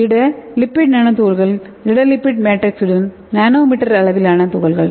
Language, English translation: Tamil, so solid lipid nano particles are nanometer sized particles with solid lipid matrix okay